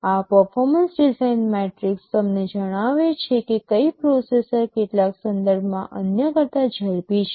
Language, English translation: Gujarati, This performance design metrics tell you that which processor is faster than the other in some respect